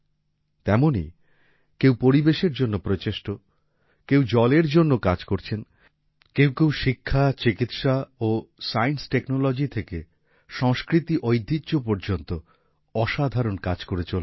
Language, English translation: Bengali, Similarly, some are making efforts for the environment, others are working for water; many people are doing extraordinary work… from education, medicine and science technology to culturetraditions